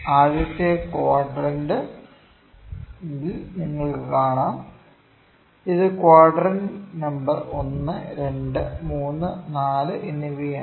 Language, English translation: Malayalam, In the first quadrant, you can see this is the quarter number 1, 2, 3 and 4